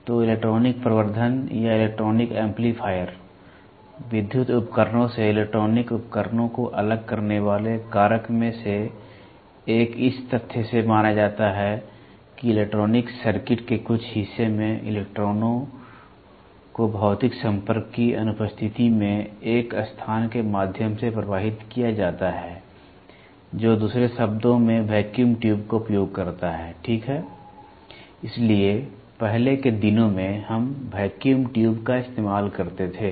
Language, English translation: Hindi, So, electronic amplification or electronic amplifier; one of the factor that distinguishes electronic devices from electrical devices is assumed from the fact that in some part of the electronics circuit, electrons are made to flow through a space in the absence of physical contact which in other words implies the use of vacuum tube, ok So, earlier days we used vacuum tubes